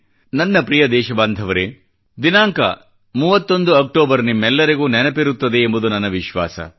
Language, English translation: Kannada, My dear brothers and sisters, I am sure all of you remember the significance of the 31st of October